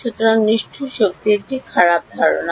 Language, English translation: Bengali, So, brute force is a bad idea